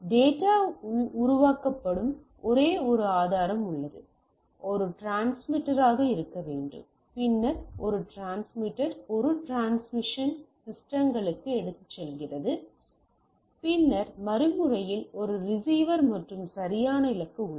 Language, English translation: Tamil, So, we have a source where the data is generated, there should be a something which is a transmitter then a transmitter carries the thing to a transmission systems right then at the other end I have a receiver and the destination which are there right